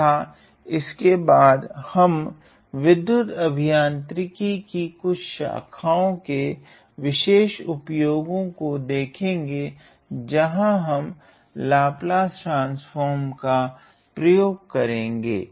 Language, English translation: Hindi, And then we are going to look at some specific applications in some streams of electrical engineering, where we apply Laplace transform